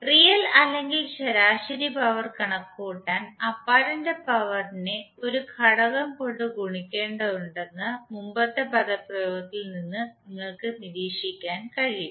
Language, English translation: Malayalam, Now from the previous expression you can also observe that apparent power needs to be multiplied by a factor to compute the real or average power